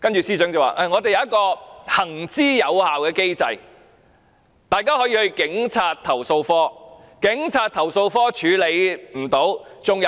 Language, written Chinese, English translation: Cantonese, 司長會說我們有一個行之有效的機制，市民可以向投訴警察課投訴。, The Chief Secretary would say that we have a proven mechanism under which members of the public can lodge complaints with the Complaints Against Police Office CAPO